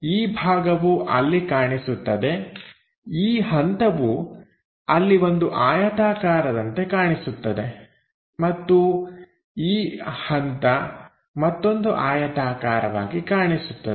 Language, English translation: Kannada, This part will be visible there, this step will be visible there as a rectangle and this step visible as another rectangle